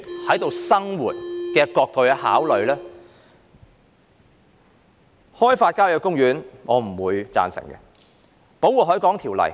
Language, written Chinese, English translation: Cantonese, 我不贊成開發郊野公園，亦不贊成檢討《保護海港條例》。, I do not support developing country parks or reviewing the Protection of the Harbour Ordinance